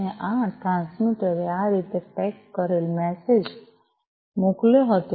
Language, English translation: Gujarati, And this is this transmitter had sent the message packaged in this manner